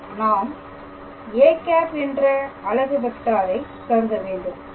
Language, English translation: Tamil, So, then in that case what will be our unit vector